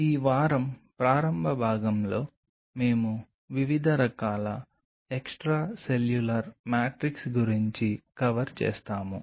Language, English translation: Telugu, This week in the initial part we will be covering about the different kind of extracellular matrix